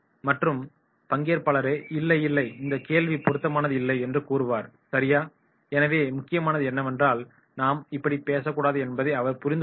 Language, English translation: Tamil, The other participant himself will say that “No no no, this question is not relevant right” so therefore what is important is that he will understand that I should not talk like this